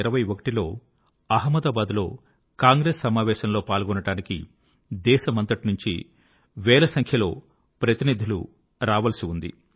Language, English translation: Telugu, In 1921, in the Congress Session in Ahmedabad, thousands of delegates from across the country were slated to participate